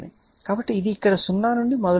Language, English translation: Telugu, So, this is starting from here 0